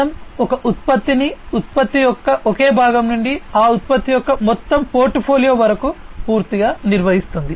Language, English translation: Telugu, PLM handles a product completely from single part of the product to the entire portfolio of that product